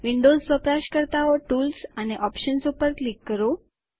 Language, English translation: Gujarati, windows users should click on Tools and Options